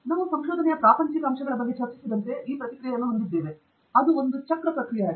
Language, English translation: Kannada, As we also discussed through this process about the mundane aspects of research; we also had this comment from Abijith, which was that it is a cyclic process